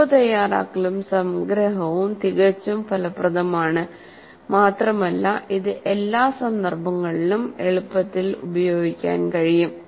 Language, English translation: Malayalam, So note making and summarization is quite effective and it can be readily used in all contexts